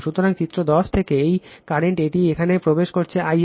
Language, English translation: Bengali, So, from figure 10, these current it is entering here I a